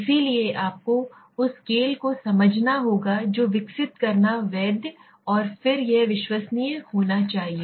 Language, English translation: Hindi, So you have to understand the scale that you are developing it should be valid and then it should be reliable right